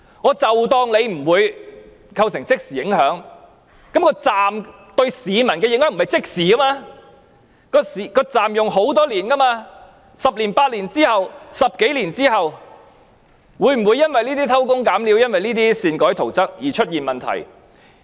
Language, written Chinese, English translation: Cantonese, 即使假設不會構成即時影響，但車站對市民的影響並非即時，車站將會使用很多年 ，10 年或10多年後，會否因為這些偷工減料和擅改圖則的情況而出現問題？, Even if I assume there would be no immediate danger the effects of the station on the public do not appear instantly for the station will be in use for many years . After a decade or more than a decade will problems arise from these shoddy works and unauthorized alteration of drawings?